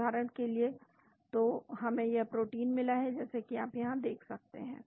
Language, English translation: Hindi, For example, so, we got this protein as you can see here